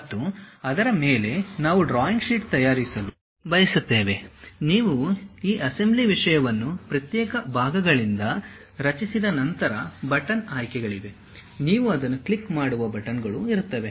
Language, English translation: Kannada, And over that, we want to prepare a drawing sheet, there will be buttons options once you create this assembly thing from individual parts, there will be buttons which you click it